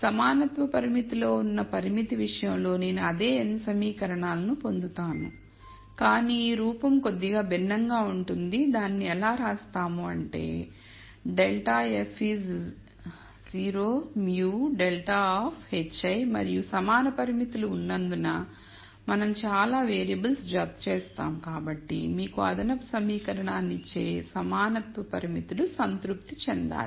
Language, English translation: Telugu, In the constraint case with equality constraints I will get the same n equations, but the form will be slightly different we write that as minus grad f is sigma lambda i grad of h i and since we add as many variables as there are equality constraints and since the equality constraints have to be satisfied those give you the extra equation